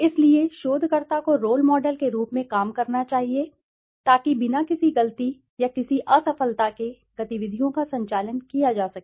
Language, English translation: Hindi, So, the researcher should serve as a role model, so by conducting the activities without any mistake or any fail